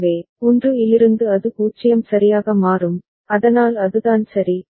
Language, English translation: Tamil, So, from 1 it will become 0 right, so that is what has happened ok